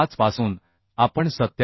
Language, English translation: Marathi, 5 from this we can find out 87